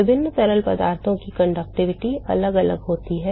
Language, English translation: Hindi, The conductivity of different fluids are different